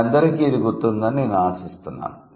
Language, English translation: Telugu, I hope all of you remember this